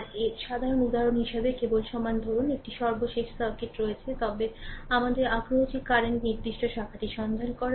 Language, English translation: Bengali, As a typical example for that your simply equi suppose you have a last circuit, but your interest is to find out the current particular branch